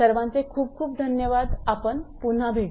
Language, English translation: Marathi, Thank you very much again we will be back again